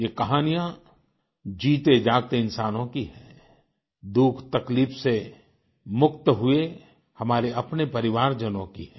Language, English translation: Hindi, These stories are of live people and of our own families who have been salvaged from suffering